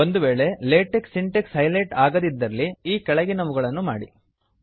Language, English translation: Kannada, In case the LaTeX syntax is not highlighted, do the following